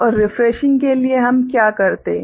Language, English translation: Hindi, And for refreshing what we do